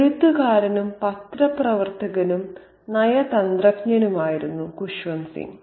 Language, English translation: Malayalam, Kushwan Singh was a writer, a journalist and a diplomat